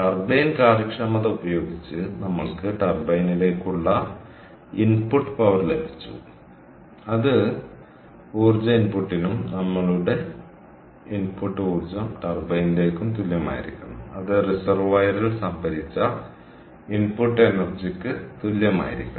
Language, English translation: Malayalam, so, using the turbine efficiency, we got the input power to the turbine, which must be equal to the energy input, and our input energy to the turbine, and that must be equal to the input energy that was stored in the reservoir